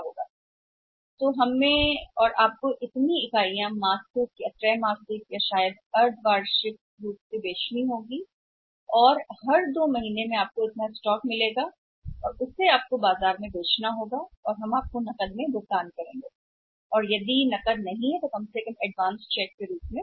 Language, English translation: Hindi, So, you and we have to sell this much of units monthly or maybe quarterly or maybe bimonthly in in the market and every month for every 2 months after you will be getting this much of the stock and you up to sell the stock in the market and you have pay us in cash or sometime not in cash at least advance tax